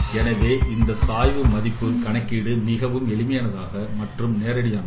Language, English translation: Tamil, So computation of this gradient is quite simple and direct